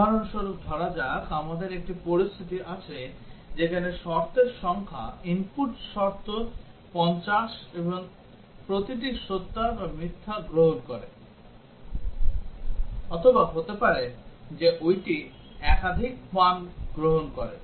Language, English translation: Bengali, For example, let us say we have a situation where the number of conditions, input conditions are 50 and each one takes either true or false, or may be that take multiple values